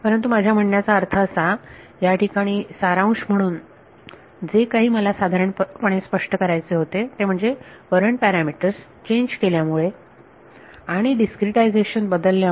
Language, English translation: Marathi, But; I mean there sort of summary of what I wanted to sort of illustrate over here, is that by changing the courant parameter and by changing the discretization